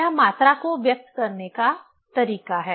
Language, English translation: Hindi, This is the way to express the quantity